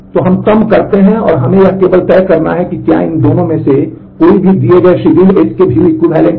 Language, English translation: Hindi, So, we reduce down and now we have only to decide whether these 2 any of these 2 are view equivalent to the given schedule S